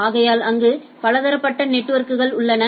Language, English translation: Tamil, So, there are several networks which are connected together